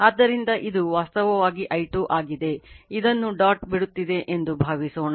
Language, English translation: Kannada, So, this is actually i 2 this is taken like this right suppose it is leaving the dot